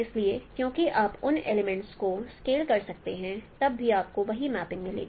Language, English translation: Hindi, So since you can scale those elements still you get the same mapping